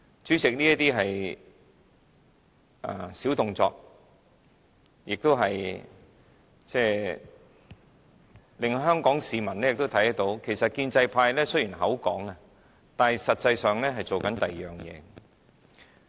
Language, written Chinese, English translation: Cantonese, 主席，這些是小動作，也令香港市民看到建制派經常說一套，但實際上卻在做另一套。, President these are small tricks which make Hong Kong people witness that the pro - establishment Members often do not practice what they preach